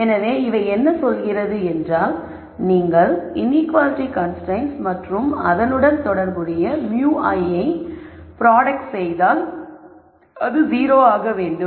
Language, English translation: Tamil, So, what this says is if you take a product of the inequality constraint and the corresponding mu i then that has to be 0